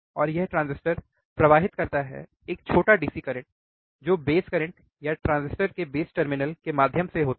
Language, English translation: Hindi, And this transistors conduct, the current a small DC current which are the base currents or through the base terminals of the transistors